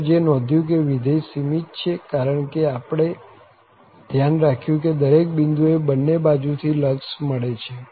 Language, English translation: Gujarati, So, what we have noticed that the function is bounded, because at each point we make sure that the limit exist from both the ends